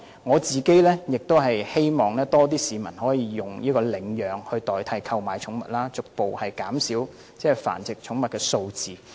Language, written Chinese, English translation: Cantonese, 我亦希望較多市民會領養寵物，以代替購買寵物，逐步減少繁殖寵物的數字。, I also hope that more people will adopt instead of buy pets so as to gradually reduce pet breeding